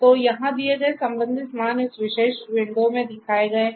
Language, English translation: Hindi, So, the corresponding values that are given over here are shown in this particular window